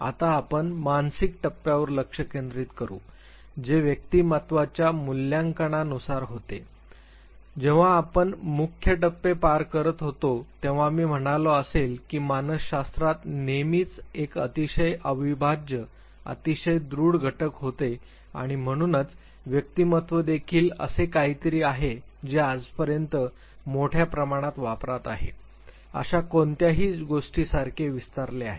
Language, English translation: Marathi, Now, we would concentrate on psychological assessment which has to do with assessment of the personality now when we were going through major milestones I said that see assessment has always been a very, very integral very, very strong component in psychology and therefore, assessment of personality is also being something which has flourished like anything till date it is on massive usage